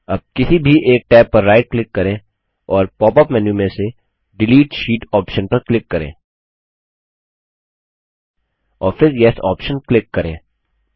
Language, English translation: Hindi, Now right click over one of the tabs and click on the Delete Sheet option from the pop up menu and then click on the Yes option